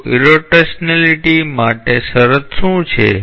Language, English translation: Gujarati, So, what is the condition for irrotationality